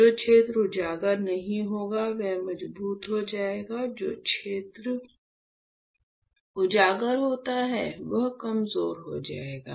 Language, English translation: Hindi, The area which is not exposed will become stronger; the area which is exposed will become weaker